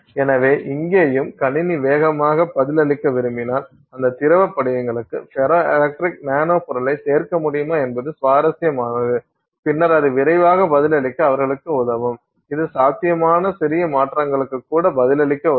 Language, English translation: Tamil, So, here also if you want the system to respond faster, it is interesting if you can add ferroelectric nanomaterials to those, you know, liquid crystals and then that will help them respond faster, it will help them respond to even minor changes in potential